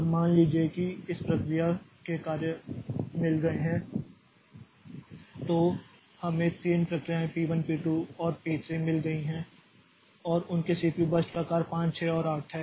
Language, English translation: Hindi, Now suppose in a system we have got jobs of these processes we have got three processes p1 p2 and p3 and their CPU bar size sizes are 5 6 and say 8